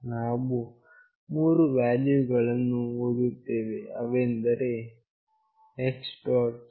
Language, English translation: Kannada, We are reading the three values that is X